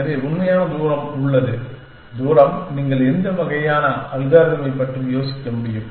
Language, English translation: Tamil, So, there are actual distance is the distance, what kind of algorithm can you think of